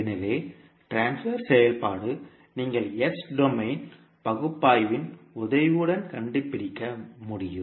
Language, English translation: Tamil, So, the transfer function you can find out with the help of the s domain analysis